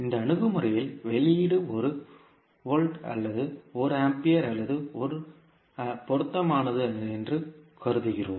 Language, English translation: Tamil, In this approach we assume that output is one volt or maybe one ampere or as appropriate